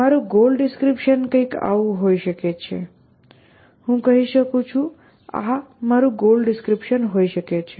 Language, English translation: Gujarati, My goal description could simply be something like a, I could say on, this could be my goal description